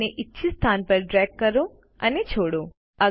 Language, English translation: Gujarati, Now drag and drop it in the desired location